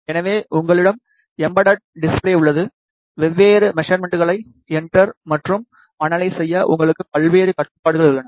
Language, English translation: Tamil, So, you have an embedded display, your various controls to enter and analyze different parameters